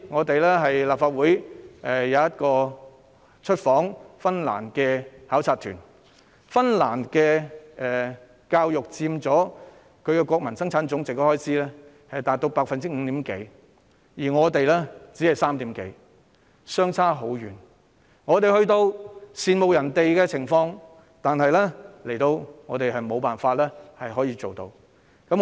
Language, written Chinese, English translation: Cantonese, 去年立法會有一個出訪芬蘭的考察團，芬蘭的教育開支佔其國民生產總值約 5%， 而我們的只佔約 3%， 兩者相差甚遠，我們只能羨慕他們，自己則無法做到這樣。, Last year a delegation of the Legislative Council visited Finland . The education expenditure of Finland accounts for about 5 % of its Gross Domestic Product whereas ours accounts for only about 3 % . There is a vast difference between the two